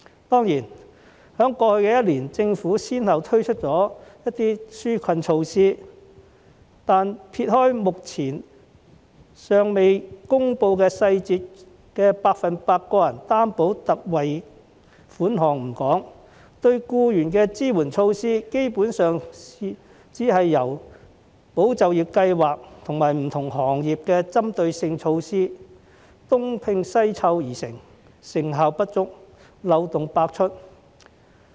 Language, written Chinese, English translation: Cantonese, 當然，在過去一年，政府先後推出了一些紓困措施，但撇開目前尚未公布細節的個人特惠貸款計劃不說，對僱員的支援措施，基本上只是由"保就業"計劃及不同行業的針對性措施東拼西湊而成，成效不足、漏洞百出。, Certainly over the past year the Government has introduced some relief measures one after another . However leaving aside the Loan Guarantee Scheme the details of which are yet to be announced the support measures for employees are basically a mere patchwork of ESS and targeted measures for different industries . They are ineffective and full of loopholes